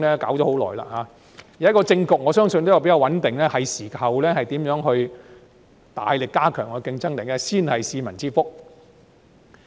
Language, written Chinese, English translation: Cantonese, 現時政局比較穩定，我相信是時候大力研究如何加強競爭，才是市民之福。, Now that the political situation is more stable I believe it is time for us to look at ways to strengthen our competitiveness and this is ultimately a blessing to the public